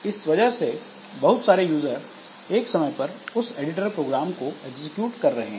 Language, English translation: Hindi, So, as a result, multiple users are executing the same editor program